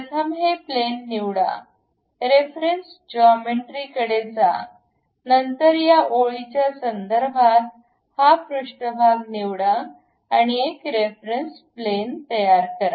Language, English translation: Marathi, First select this plane, go to reference geometry; then with respect to this line, pick this surface, construct a reference plane